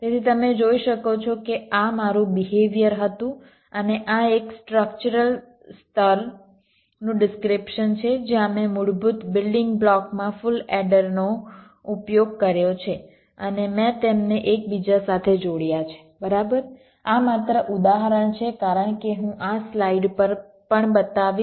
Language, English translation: Gujarati, so you can see this was might behavior and this is ah structural level description where i used full adders at the basic building block and i have inter connected them right, which has example, as shall show this on this slide or so